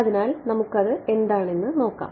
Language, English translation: Malayalam, So, let us have a look at that right